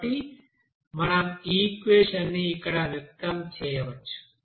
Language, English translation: Telugu, So in this way you can have this equation